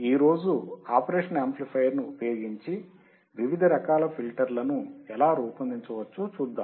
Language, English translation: Telugu, Today, let us see how we can design different kind of filters using the operational amplifier